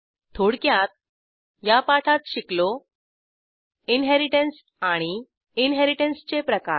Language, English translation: Marathi, Let us summarize In this tutorial, we learnt, Inheritance and, Types of inheritance